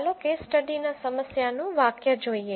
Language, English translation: Gujarati, Let us look at the problem statement of the case study